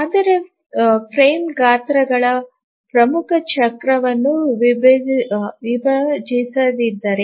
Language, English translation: Kannada, But what if the frame size doesn't divide the major cycle